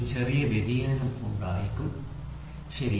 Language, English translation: Malayalam, There will be a small variation, right